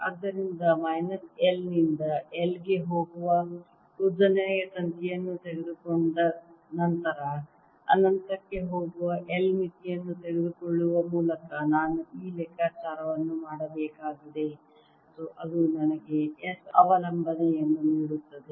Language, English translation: Kannada, so i have to actually do this calculation by taking a long wire going from minus l to l and then taking the limit l, going to infinity, and that'll give me the s dependence